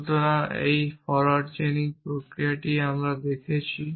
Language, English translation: Bengali, So, this is the process of forward chaining we are looking at